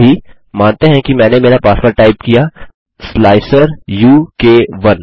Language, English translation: Hindi, At the moment, lets say I typed in my password as slicer u k 1